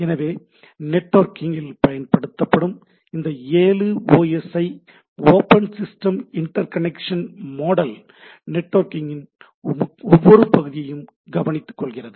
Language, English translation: Tamil, So, these are the primarily this seven OSI, Open System Interconnection model for networking which takes care of every part of the things